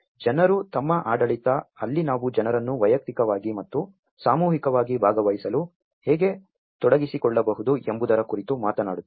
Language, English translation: Kannada, And the people and governance, where we talk about how we can engage the people to participate individually and as well as collectively